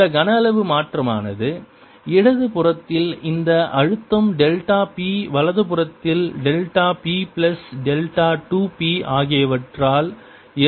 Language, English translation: Tamil, this change in volume is caused by the special delta p on the left side, delta p plus delta two p on the right hand side